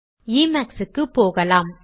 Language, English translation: Tamil, Let us go to emacs